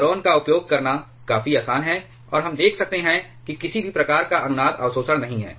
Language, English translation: Hindi, Boron is quite easy to use, and we can see that does not have any kind of a resonance absorption